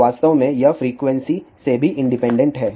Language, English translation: Hindi, In fact, it is independent of frequency also